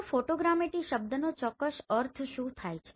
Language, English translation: Gujarati, So what do you mean exactly by this photogrammetry term